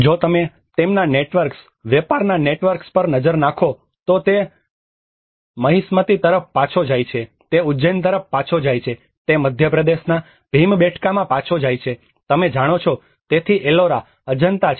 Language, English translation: Gujarati, \ \ \ If you look at their networks, the trade networks, it goes back to Mahishmati, it goes back to Ujjain, it goes back to Bhimbetka in Madhya Pradesh you know, so Ellora, Ajanta